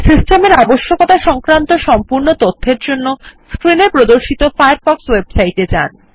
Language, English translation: Bengali, For complete information on System requirements, visit the Firefox website shown on the screen